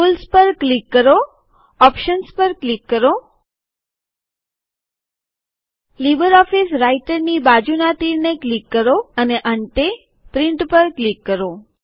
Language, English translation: Gujarati, Click on Tools in the menubar click on Options Click on the arrow beside LibreOffice Writer and finally click on Print